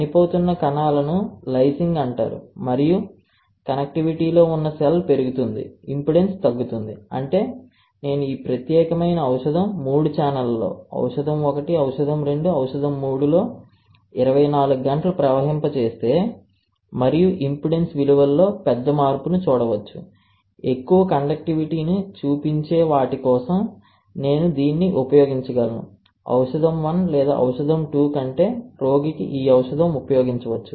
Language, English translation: Telugu, The cells dying is called lysing and, the cell lies is the connectivity would increase and impedance would decrease; that means, if I flow drug on this particular three channels, right drug 1, drug 2, drug 3 for 24 hours and if I see a larger change in impedance values then for the one which is showing the more conductivity I can use that as a drug for a given patient rather than drug 1 or drug 2